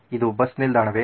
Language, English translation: Kannada, Is this a bus stop